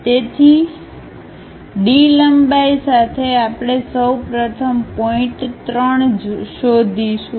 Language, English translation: Gujarati, So, with D length, we will first of all locate point 3